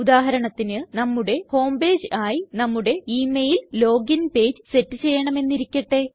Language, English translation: Malayalam, Say for example, we want to set our email login page as our home page